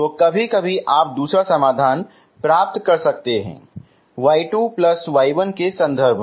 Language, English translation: Hindi, So sometimes you may get your second solution in terms of something as your y 2 plus y 1, okay, like here